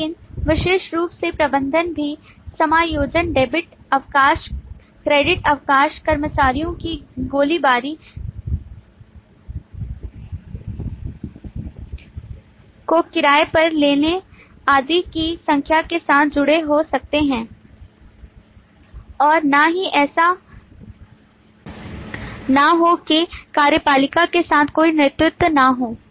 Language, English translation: Hindi, But specifically, manager can also associated with number of use cases like adjust debit leave, credit leave, hiring, firing of employees and so on, which neither the lead not the executive will be associated with